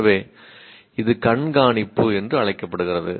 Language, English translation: Tamil, So this is what is called monitoring